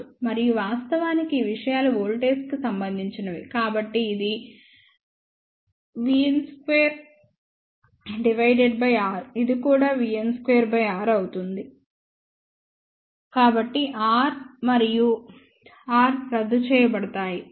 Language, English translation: Telugu, And of course, these things will be related to voltage, so this will be v s square by R, this will also be v n square by R, so R, R, R will get cancel